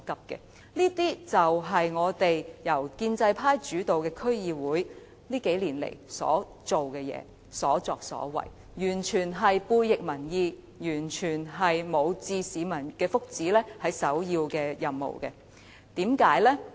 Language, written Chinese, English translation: Cantonese, 這些都是由建制派主導的區議會近年的所作所為，完全背逆民意，根本不視保護市民福祉為首要任務。, These are the deeds of DCs dominated by the pro - establishment camp in recent years . They have been acting against public opinions . They have never made protection of public interests their primary task